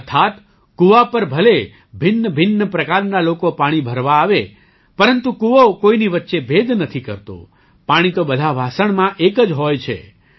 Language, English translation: Gujarati, Which means There could be myriad kinds of people who come to the well to draw water…But the well does not differentiate anyone…water remains the same in all utensils